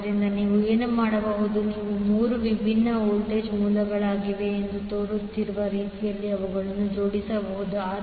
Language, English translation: Kannada, So, what you can do you can arrange them in such a way that it looks like there are 3 different voltage sources